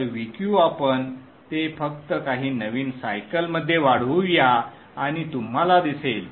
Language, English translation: Marathi, VQ, let us expand it to just see a few cycles and you would see